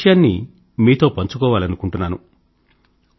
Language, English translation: Telugu, But I do wish to share something with you